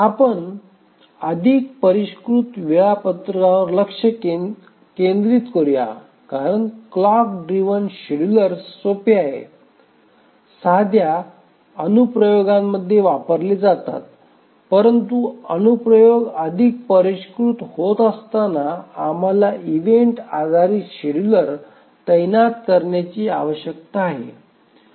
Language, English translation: Marathi, The clock driven schedulers are simple, used in simple applications, but as the applications become more sophisticated, we need to deploy the event driven schedulers